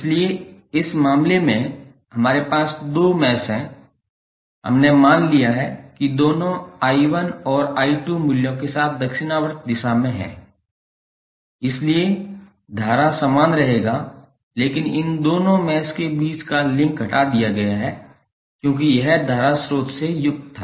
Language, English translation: Hindi, So, like in this case we have two meshes we have assumed that both are in the clockwise direction with i 1 and i 2 values, so current will remains same but the link between these two meshes have been removed because it was containing the current source